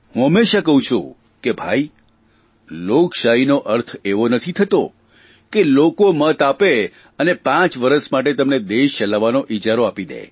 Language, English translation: Gujarati, I always stress that Democracy doesn't merely mean that people vote for you and give you the contract to run this country for five years